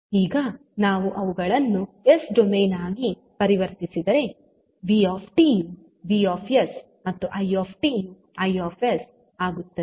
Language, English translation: Kannada, Now, if we have to convert them into s domain vt will become vs, it will become i s